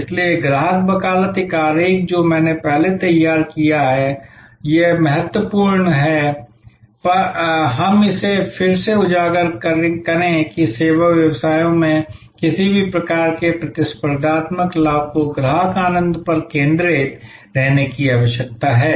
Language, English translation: Hindi, So, customer advocacy, this diagram I have drawn before and it is important that we highlight it again that in service businesses any kind of competitive advantage needs to stay focused on customer delight